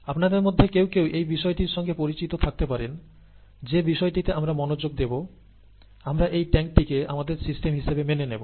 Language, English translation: Bengali, Some of you would be familiar with this term system, something on which we focus our attention, and we, we are considering the the tank as our system